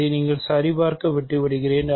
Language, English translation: Tamil, So, this I will leave for you to check